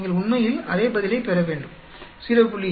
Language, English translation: Tamil, You should be getting the same answer actually, 0